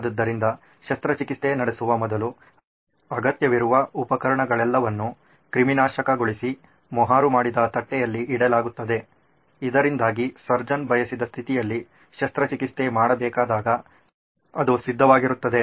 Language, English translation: Kannada, So before the surgery is performed all of this, the instruments needed are all sterilized and kept on a sealed tray so that it’s ready when the surgery has to be performed in the state that the surgeon wants it to be